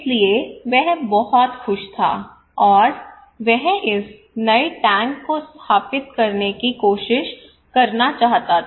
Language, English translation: Hindi, So he was very happy okay, and he wanted to try this new tank to install